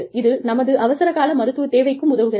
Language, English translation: Tamil, And, this helps us, tide over our medical emergencies